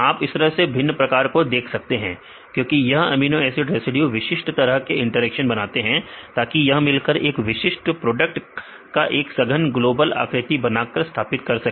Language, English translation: Hindi, you can see the different types because these amino acid residues they form specific types of interactions right, so that they can form the compact global shape and maintaining the stability of particular product